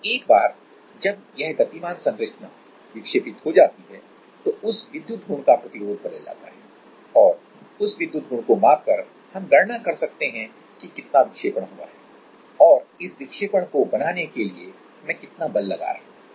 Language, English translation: Hindi, And once this moving structure is deflected the resistance of that electrical property is changed and by measuring that electrical property we can calculate that how much is the deflection and how much is the force I am applying to make this deflection